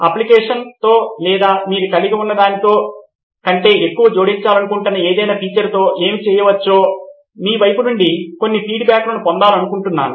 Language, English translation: Telugu, I would like to get some feedbacks from your side what more can be done with the application or any feature you want it to add more than what it has